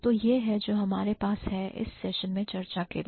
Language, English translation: Hindi, So, that is what we have got to discuss in this session